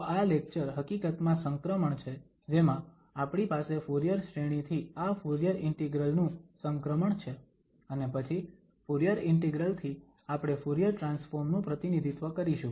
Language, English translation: Gujarati, So, this lecture is actually the transition where we have from Fourier series to this Fourier integral and then Fourier integral we will represent the Fourier transform